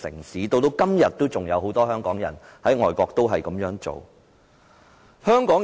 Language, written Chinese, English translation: Cantonese, 時至今天，很多身在外國的香港人依然這樣做。, Today many Hong Kong people staying abroad still continue to do so